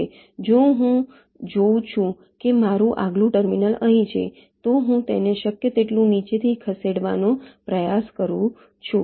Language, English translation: Gujarati, if i see that my next terminal is here, i try to move it below, down below, as much as possible